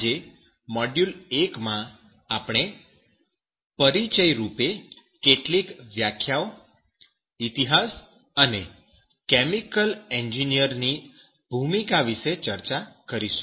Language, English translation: Gujarati, And today we will discuss in module 1 as an introduction where some definition history and role of chemical engineers should be discussed in this lecture